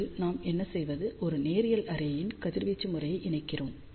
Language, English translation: Tamil, So, first what we do we combine the radiation pattern of 1 linear array